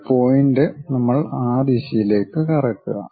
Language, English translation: Malayalam, A point we are rotating in that direction